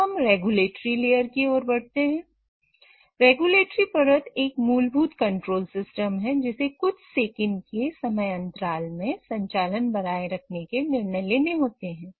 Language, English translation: Hindi, So, regulatory layer is the basic control system which has to operate or which has to take decisions of maintaining the operation at a time frame of few seconds